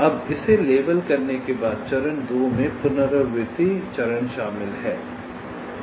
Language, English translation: Hindi, now, after we have labeled it, phase two consists of the retrace phase